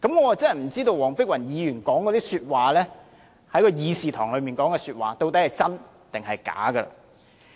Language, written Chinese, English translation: Cantonese, 我真不知道黃碧雲議員在會議廳內說的話究竟孰真孰假。, I frankly do not know which parts of Dr Helena WONGs remarks in this Chamber are true and which parts not true